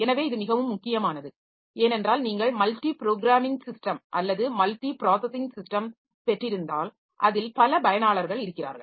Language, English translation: Tamil, So, this is very important because but when you have got multi programmed system or multi processing system so multiple users are there